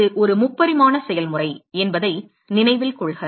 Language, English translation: Tamil, Note that it is a three dimensional process